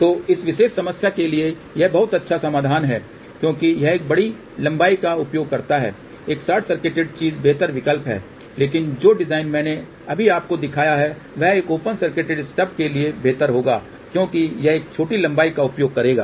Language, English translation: Hindi, So, for this particular problem this is not a good solution because it uses a larger length, a short circuited thing is better option, but the design which I just showed you that would be better for a open circuit stub because that will use a smaller length